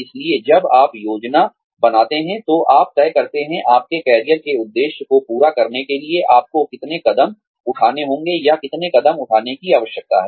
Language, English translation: Hindi, So, when you plan, you decide, the number of steps, you need to take, or the number of steps, you need to climb, in order to reach, your career objective